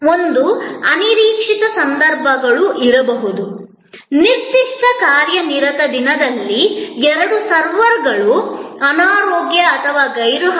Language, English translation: Kannada, One is that, there can be unforeseen circumstances, may be on a particular busy day two servers are sick and absent